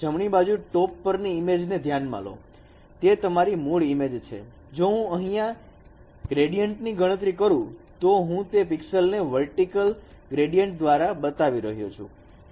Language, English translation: Gujarati, Consider this is your original image and if I compute the vertical gradients, I am showing those pixels where vertical gradients are very prominent